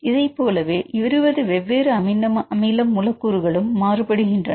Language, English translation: Tamil, So, for the 20 different amino acid residues